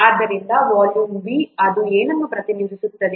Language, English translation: Kannada, Therefore, the volume V, it represents what